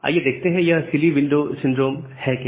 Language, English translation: Hindi, So, let us see that what is silly window syndrome